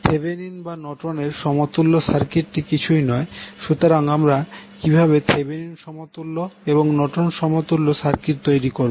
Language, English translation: Bengali, Equivalent circuit is nothing but Thevenin’s or Norton’s equivalent, so how we will create Thevenin equivalent and Norton equivalent